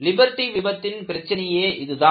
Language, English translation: Tamil, So, this was the problem with Liberty failure